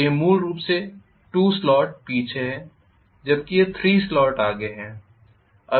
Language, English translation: Hindi, So this is essentially 2 slots behind whereas this is 3 slot forward,ok